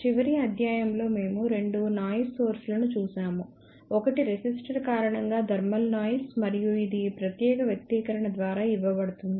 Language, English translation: Telugu, In the last lecture we looked at two noise sources one was thermal noise due to resistor and that is given by this particular expression